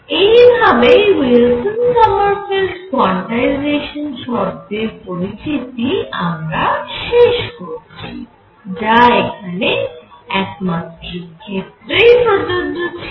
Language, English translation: Bengali, So, this sort of concludes the introduction to Wilson Sommerfeld quantization condition which has been applied to one dimension